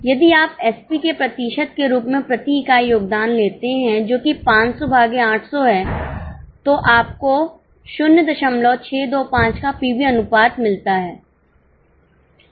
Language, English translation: Hindi, If you take contribution per unit as a percentage of SP, that is 500 upon 800, you get PV ratio of 0